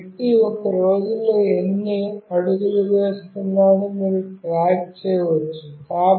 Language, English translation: Telugu, Like you can track the number of steps a person is walking in a day